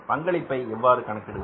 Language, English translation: Tamil, So how we calculate the contribution